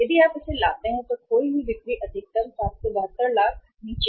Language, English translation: Hindi, The lost sales are maximum that is 772 lakhs if you bring it down